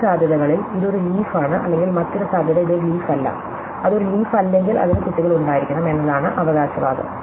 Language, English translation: Malayalam, Now, there are two possibilities, the two possibilities are this is a leaf or the other possibility is that, this is not a leaf, the claim if that if it is not a leaf, then it must have children